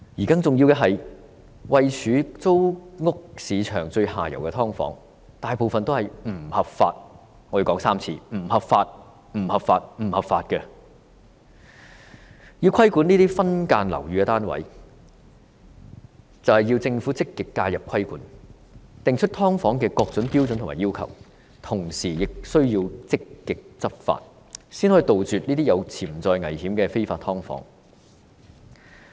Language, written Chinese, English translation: Cantonese, 更重要的是，位處租屋市場最下游的"劏房"，大部分也是不合法——我要說3次，是不合法、不合法、不合法的——要規管這些分間樓宇單位，政府須積極介入規管，訂立"劏房"的各種標準和要求，同時亦須積極執法，才能夠杜絕這些有潛在危險的非法"劏房"。, More importantly still most subdivided units in the lowest segment of the rental market are illegal―I have to say it three times . They are illegal illegal illegal―To regulate these subdivided units the Government must proactively intervene by way of regulation prescribing various standards and requirements for subdivided units . At the same time proactive enforcement is also essential